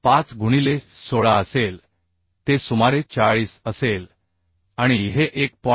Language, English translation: Marathi, 5 into 16 it will be around 40 and e is 1